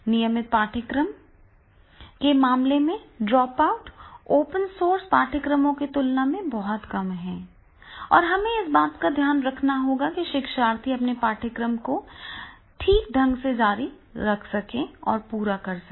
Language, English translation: Hindi, So the dropout in the case of the regular courses are very less as compared to the dropouts into the open source courses and therefore that we have to take care that is the learners they are able to continue and finish their course properly